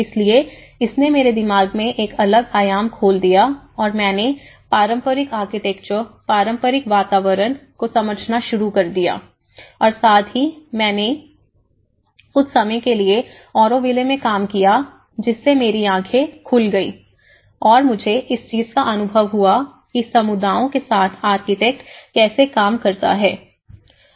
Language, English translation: Hindi, So, it opened a different dimension in my mind and I started looking at understanding the traditional Architecture, traditional environments and with that, I worked in Auroville for some time and that has given me an eye opener for me to understand how the architects works with the communities